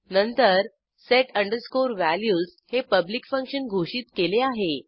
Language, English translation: Marathi, Then we have function set values declared as public